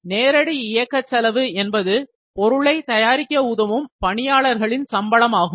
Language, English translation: Tamil, So, direct labour cost is cost of actual labour used to produce the product